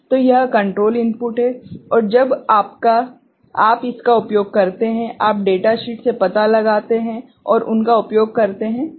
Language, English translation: Hindi, These are the control inputs as and when you use it, you find out from the data sheet and make use of them, ok